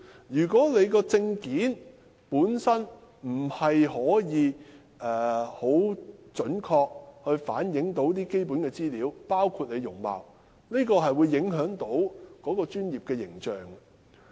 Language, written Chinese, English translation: Cantonese, 如果證件無法準確反映從業員的基本資料，包括容貌，將會影響行業的專業形象。, If identification documents fail to accurately show the basic particulars of the practitioners of an industry including their appearance the professional image of the industry concerned will be affected